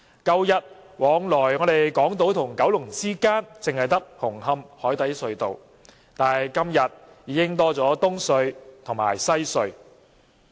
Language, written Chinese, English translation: Cantonese, 舊日連接港島與九龍之間只有紅磡海底隧道，但今天已經增加了東區海底隧道及西區海底隧道。, In the past Hong Kong Island and Kowloon was connected by the Cross Harbour Tunnel only . Now the number of connecting tunnels has been increased with the addition of the Eastern Harbour Crossing and the Western Harbour Crossing